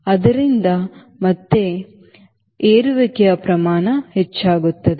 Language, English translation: Kannada, so again, rate of climb will increase